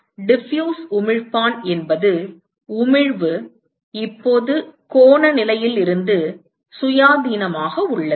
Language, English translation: Tamil, Diffuse emitter is where the emission is now independent of the angular position